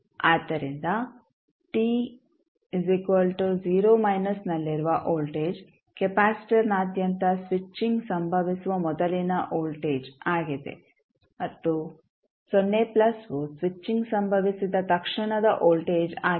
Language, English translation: Kannada, So, when 0 minus is the voltage across capacitor just before the switching happens and 0 plus is the voltage immediately after the switching happened